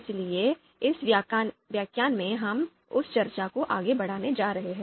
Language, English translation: Hindi, So in this lecture, we are going to carry forward that discussion